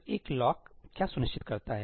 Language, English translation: Hindi, So, what does a lock ensure